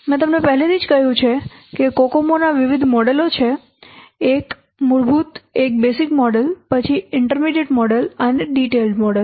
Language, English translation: Gujarati, As I have already told you there are different models of Kokomo, the fundamental one the basic model, then intermediate model and detailed model